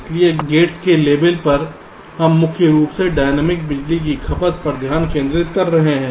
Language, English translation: Hindi, so, at the level of gates, we are mainly concentrating at the dynamic power consumption